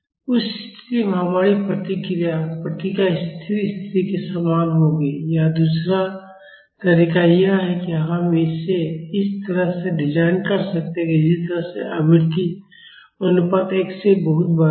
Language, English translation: Hindi, In that case our response will be same as the steady state response or the another way is we can design it in such a way that the frequency ratio is much larger than one